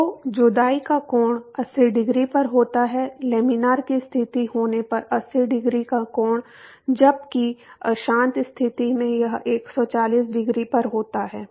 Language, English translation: Hindi, So, the angle of separation the separation point occurs at 80 degrees; 80 degree angle when it is laminar condition while it is turbulent condition it occurs at 140 degree